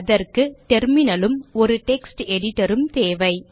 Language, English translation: Tamil, For that you need a Terminal and you need a Text Editor